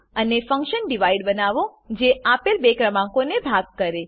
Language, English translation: Gujarati, And Create a function divide which divides two given numbers